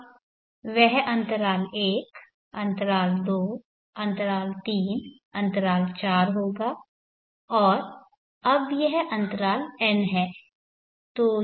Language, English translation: Hindi, Now that will be interval 1, interval 2, interval 3, interval 4 and now this is interval n, so this is n + 1